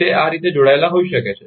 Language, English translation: Gujarati, It may be connected like this